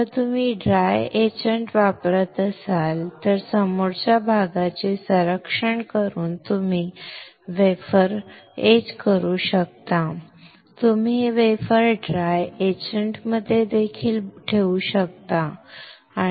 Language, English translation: Marathi, If you use dry etching then you can etch the wafer by protecting the front area you can even put this wafer in the dry etchant